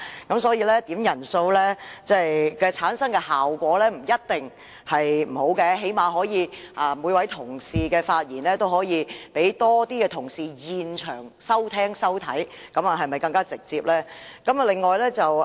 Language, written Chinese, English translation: Cantonese, 因此，點算人數所產生的效果未必一定不好，起碼同事的發言會有更多其他同事在現場收聽收看，這不是更直接嗎？, Therefore the impact of making quorum calls may not necessarily be negative because at least the Member speaking will have more audience in this Chamber . Is this not a more direct approach?